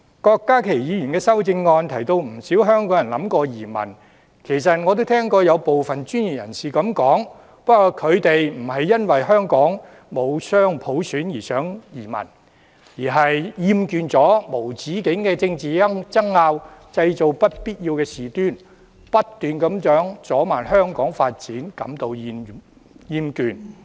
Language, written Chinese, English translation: Cantonese, 郭家麒議員的修正案提到不少香港人想移民，其實我亦聽過有部分專業人士這樣說，但他們不是因為香港沒有雙普選而想移民，而是厭倦了無止境的政治爭拗，製造不必要的事端，不斷阻慢香港發展，因而產生厭倦。, Dr KWOK Ka - ki has mentioned in his amendment that quite a number of Hong Kong people intended to emigrate . In fact I have also heard some professionals said that they wanted to emigrate . However the reason for having this idea is not due to the lack of dual universal suffrage in Hong Kong but due to the fact that they are tired of the endless political wrangling and unnecessary troubles created which have slowed down Hong Kongs development